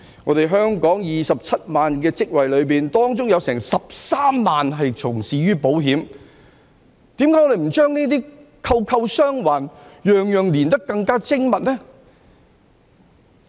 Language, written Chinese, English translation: Cantonese, 在香港27萬個相關職位當中，有13萬人從事保險業，為何我們不把這些環環相扣，把每件事情連結得更加精密呢？, The best advantage is that we can have additional insurance which falls under our financial services industry as a whole . Among the 270 000 related jobs in Hong Kong 130 000 are in the insurance industry . Why do we not tie up these links and connect everything more precisely?